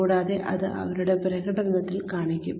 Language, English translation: Malayalam, And, that will show in their performance